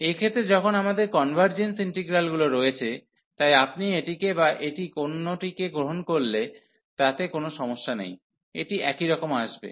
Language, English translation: Bengali, So, in the case when we have convergence integrals, so there is no problem whether you take this one or this one, this will come of the same